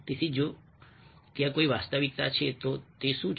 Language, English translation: Gujarati, so if there is a reality beyond, well, what is that